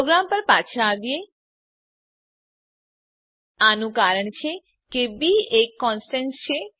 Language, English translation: Gujarati, Come back to our program This is because b is a constant